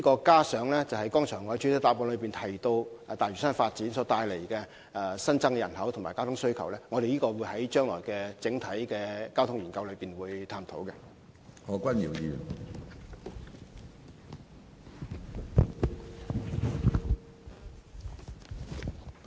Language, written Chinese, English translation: Cantonese, 加上我剛才在主體答覆中提及大嶼山發展帶來的新增人口和交通需求，我們在將來進行整體交通研究時當會一併探討。, The growth in population brought about by the development of Lantau Island and the resultant traffic demands as I mentioned in the main reply just now will be considered jointly when an overall traffic study is undertaken by the Bureau in the future